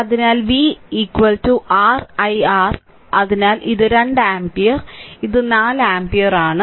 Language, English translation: Malayalam, Therefore, v is equal to your i R, so this is 2 ampere and this is 4 ampere